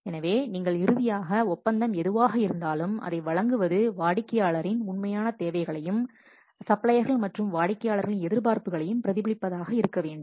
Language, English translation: Tamil, So, whatever the contract you are finally awarding, that should reflect the true requirements of the client and the expectations of both the suppliers and the clients